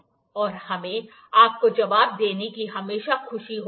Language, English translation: Hindi, And we are always happy to answer you